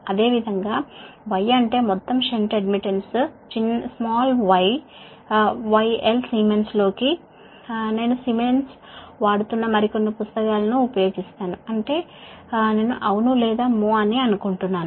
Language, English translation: Telugu, similarly, y is that total shunt admittance, small y into l, siemens i will use more some book, they are using siemens, that is, i think yes